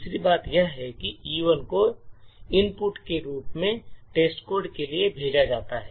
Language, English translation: Hindi, The second thing is to sent, E1 as an input to test code this is done as follows